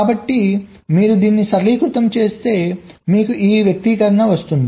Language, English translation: Telugu, so if you just simplify this, you get this expression